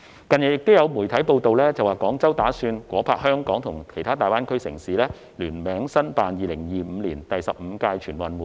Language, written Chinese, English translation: Cantonese, 近日亦有傳媒報道，指廣州打算夥拍香港及其他大灣區城市聯名申辦2025年第十五屆全運會。, Recently there have been media reports that Guangzhou intends to join Hong Kong and other cities in the Guangdong - Hong Kong - Macao Greater Bay Area GBA to apply for hosting the 15th National Games in 2025